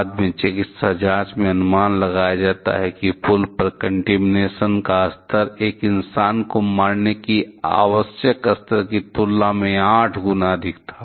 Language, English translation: Hindi, Later on, the medical investigation estimated that; the contamination that bridge the contamination level on the bridge was 8 times higher than, what is required to kill a human being